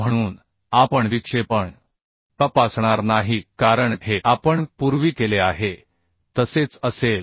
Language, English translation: Marathi, So we are not going to check for deflection, as this will be same as we have done earlier